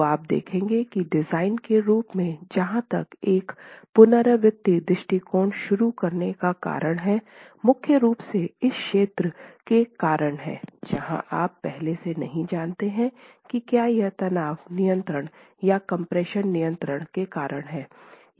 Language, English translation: Hindi, So you will see that the reason for introducing an iterative approach as far as the design is concerned is primarily because of this region where you do not know a priori whether tension controls or compression controls